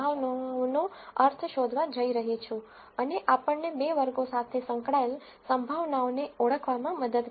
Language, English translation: Gujarati, So, to do that I am going to find the mean of the probabilities and this will help us to identify the probabilities which are associated with the two classes